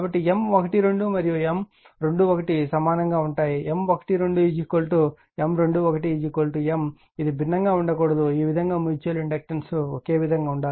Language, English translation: Telugu, But M 1 2 and M 1 2 are equal that is M 1 2 is equal to M 2 1 is equal to M it cannot be different right, this way have that way mutual inductance has to be same right